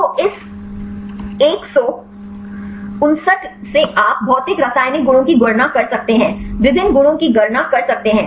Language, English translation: Hindi, So, from this 159 you can calculate the physicochemical properties; different properties you can calculate